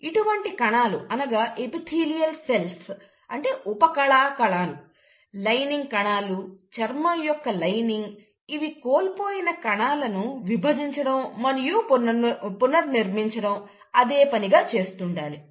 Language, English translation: Telugu, Now these kind of cells, which are usually the epithelial cells, the lining cells, the lining of the skin, the lining of the gut, they have to keep on dividing and replenishing the lost cells